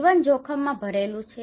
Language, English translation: Gujarati, Life is full of risk